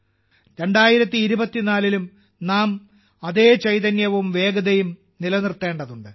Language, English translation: Malayalam, We have to maintain the same spirit and momentum in 2024 as well